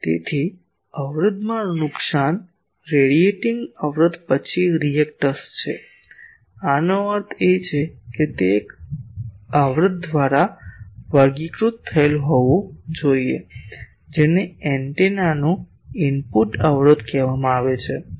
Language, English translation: Gujarati, So, loss in resistance a radiating resistance then a reactance so; that means, it is an it should be characterized by an impedance that is called input impedance of the antenna